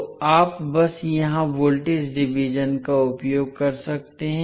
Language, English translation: Hindi, So you can simply use voltage division here